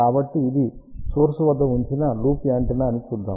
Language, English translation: Telugu, So, let us see this is the loop antenna which is placed at the origin